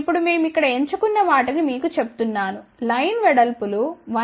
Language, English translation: Telugu, Now, just to tell you what we have chosen over here the line widths are 1